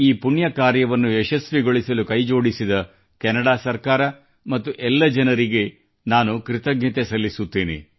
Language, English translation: Kannada, I express my gratitude to the Government of Canada and to all those for this large heartedness who made this propitious deed possible